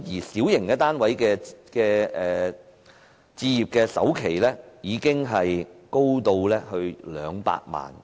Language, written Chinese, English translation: Cantonese, 小型單位的置業首期金額，高達200萬元。, The down payment for a small flat is as high as 2 million